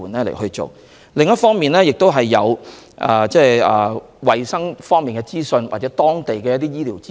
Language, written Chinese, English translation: Cantonese, 另一方面，我們亦提供衞生方面或當地醫療的資訊。, On the other hand we have also provided information on hygiene and local health care services